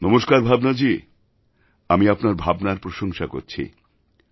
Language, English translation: Bengali, Namaste Bhawnaji, I respect your sentiments